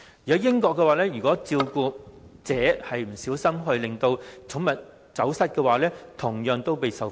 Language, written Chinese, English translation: Cantonese, 在英國，照顧者不小心讓寵物走失，同樣會受罰。, In the United Kingdom people will be penalized if they lose the pet under their care owing to carelessness